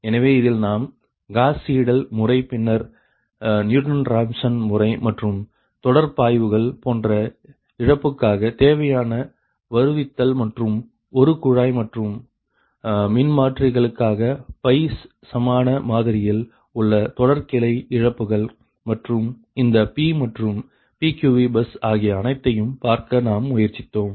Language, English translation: Tamil, so in this you have tried to see the gauss seidel method, then newton raphson method and all the your necessary your derivation for law like line flows ride and your what you call line branch losses at the trying that pi equivalent ah model for a tap changing transformers, right, and this p and pqv bus